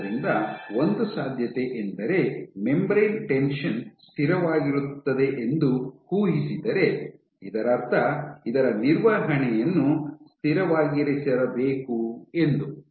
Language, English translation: Kannada, So, what there is a possibility that since so if we assume that membrane tension is constant, so that means, that to maintain if this want to be constant